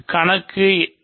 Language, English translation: Tamil, So, number 8